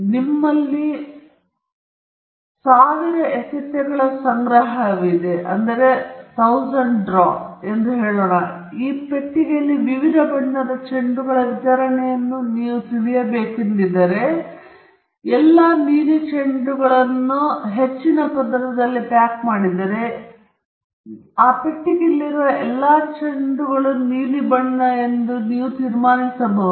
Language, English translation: Kannada, Let us say that you have a collection of 1000 balls, and you want to know an idea about the distribution of the different colored balls in this box, and if all the blue balls are packed in the top most layer, and you pick up all the blue balls, you may conclude that all the balls in this box are blue in color